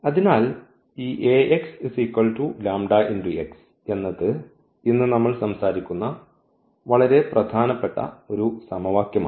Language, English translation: Malayalam, So, here this Ax is equal to lambda x that is a very important equation which we will be talking about today